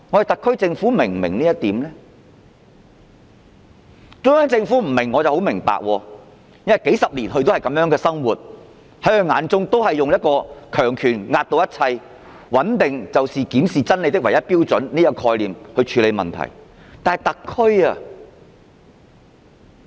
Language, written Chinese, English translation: Cantonese, 中央政府不能明白這點，我會理解，因為它數十年來也是如此，只懂用強權壓倒一切，認為穩定就是檢視真理的唯一標準，以這概念處理問題。, If the Central Government did not get it I will understand that it has remained the same over the past decades . It will only use its power to suppress everything thinking that stability is the sole criterion in reviewing the truth . It handles problems with such a concept